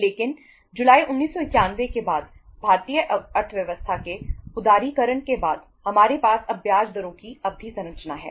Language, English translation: Hindi, But after July 1991 after the liberalization of the Indian economy we have now the term structure of uh interest rates